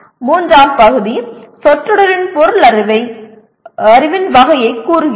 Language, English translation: Tamil, And the third part the object of the phrase states the type of knowledge